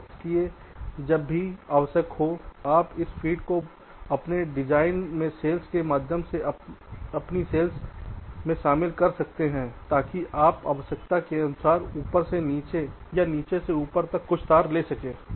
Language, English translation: Hindi, so, ah, so here, whenever required, you can include this feed through cells in your design, in your cells, so that you can take some words from the top to bottom or bottom to top, as required